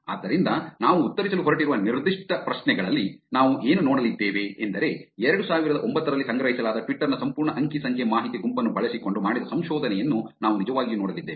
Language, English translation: Kannada, So, what we are going to look at in the specific questions that we are going to answer is, we are going to actually look at research that was done which is using the entire data set of Twitter, which was collected in 2009